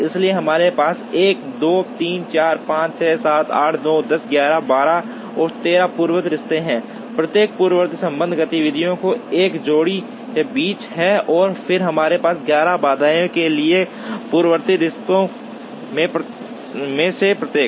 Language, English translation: Hindi, So, we have 1, 2, 3, 4, 5, 6, 7, 8, 9, 10, 11, 12 and 13 precedence relationships, each precedence relationship is between a pair of activities and then we have to have 11 constraints for each of the precedence relationships